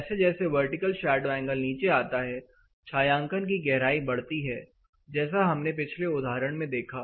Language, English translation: Hindi, As the vertical shadow angle comes down the shading depth increases similar to what we saw in the previous example